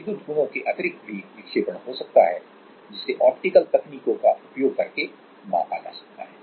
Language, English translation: Hindi, Other than electrical properties it can be also the deflection can be also measured using optical techniques also